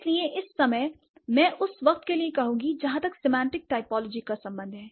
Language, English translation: Hindi, So, that is what I would say for the moment as for as semantic typology is concerned